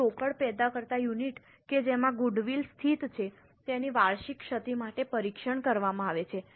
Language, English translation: Gujarati, Now, cash generating units to which goodwill is allocated are tested for impairment annually